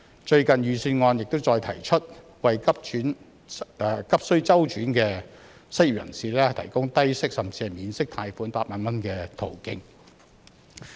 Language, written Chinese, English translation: Cantonese, 最近的財政預算案亦再提出為急需周轉的失業人士，提供低息甚至免息貸款8萬元的途徑。, The recent Budget has also proposed again the provision of a low - interest or even interest - free loan of 80,000 for the unemployed who are in urgent financial needs